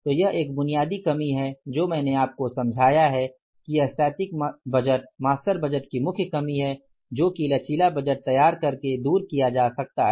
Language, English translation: Hindi, So, this is the basic limitation which I have been able to explain to you that this is the main limitation of the static budget, master budget which can be done away by preparing the flexible budgets